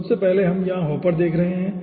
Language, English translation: Hindi, so we are having here first hopper